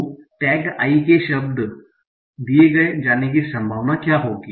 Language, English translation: Hindi, So what will be the probability of tag I given the word